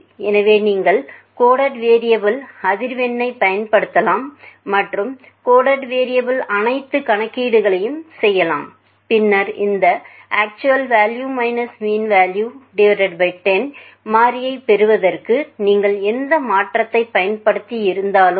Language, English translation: Tamil, So, you can use of frequency in the coded variable and do all the calculation as per the coded variable, and then whatever transformation you had used for obtaining these variable actual variable minus mean value by 10